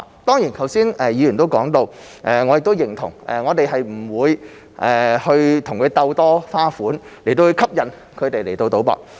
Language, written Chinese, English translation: Cantonese, 當然，剛才議員也說到而我亦認同，我們不會與他們鬥多花款來吸引市民賭博。, Certainly as the Member said which I also agree we will not compete with the bookmakers in the variety of bet types to encourage people to bet